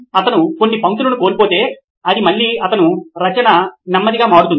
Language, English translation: Telugu, If he’s missed a few lines then it will again come to the his writing becoming slow